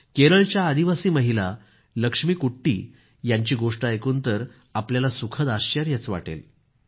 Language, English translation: Marathi, You will be pleasantly surprised listening to the story of Keralas tribal lady Lakshmikutti